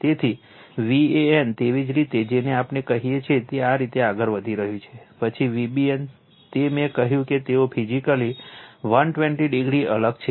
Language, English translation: Gujarati, So, V a n, so it is your what we call it is moving like this, then V b n, it is I told they are 120 degree apart physically right